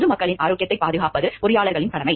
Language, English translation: Tamil, Engineers have their duty to protect the health of the general public